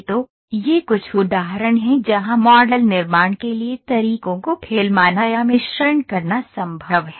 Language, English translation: Hindi, So, these are some of the examples where in which filleting or blend methods for model generation is possible